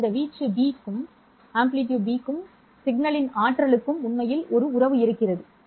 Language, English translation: Tamil, There is actually a relationship between this amplitude B and the energy of the signal